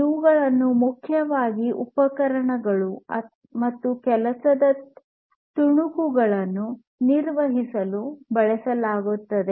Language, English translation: Kannada, And these are primarily used for manipulating tools and work pieces